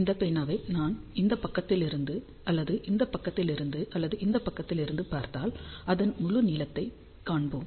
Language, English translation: Tamil, So, if I see this pen from this side or from this side or from this side, we will see the full length of the pen